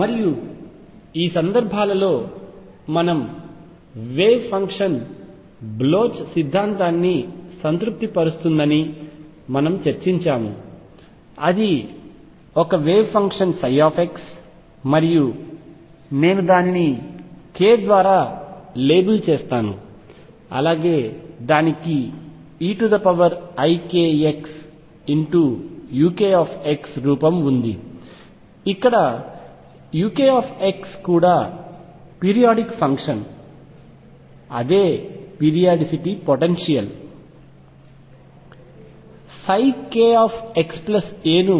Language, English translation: Telugu, And what we discussed was in these cases the wave function satisfies Bloch’s theorem that says that a wave function psi x and I will label it by k has the form e raised to i k x u k x where u k x is also periodic function, the same periodicity as the potential